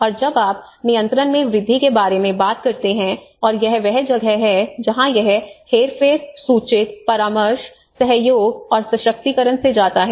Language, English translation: Hindi, And whereas, when you talk about when you increase at control, when you widen that funnel, and that is where it goes from manipulate, inform, consult, collaborate and empower